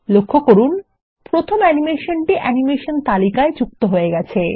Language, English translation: Bengali, Notice, that the first animation has been added to the list of animation